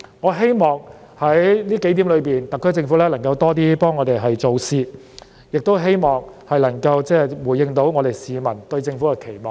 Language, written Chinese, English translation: Cantonese, 我希望特區政府能在這數點上為我們多做點事，亦希望特區政府能回應市民對它的期望。, I hope the SAR Government will do something more for us in these regards and I also hope that it will be able to meet peoples expectation of it